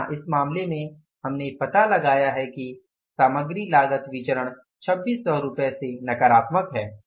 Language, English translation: Hindi, Here in this case we have found out is material cost variance is negative by 2,600 rupees